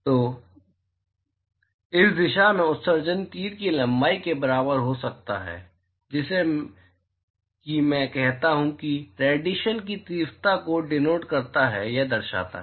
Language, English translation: Hindi, So, the emission in this direction could be the as length of the arrow as if I say that indicates or denotes the intensity of radiation